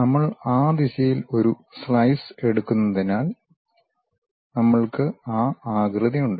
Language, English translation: Malayalam, And, because we are taking a slice in that direction, we have that shape